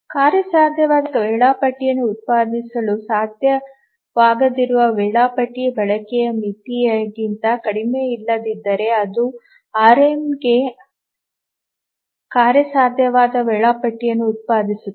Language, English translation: Kannada, For RMA, unless the schedule is less than the utilization bound, it will not be able to produce a feasible schedule